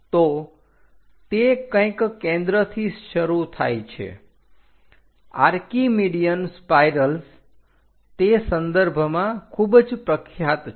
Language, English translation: Gujarati, So, they begin somewhere at centre; Archimedean spirals are quite popular in that sense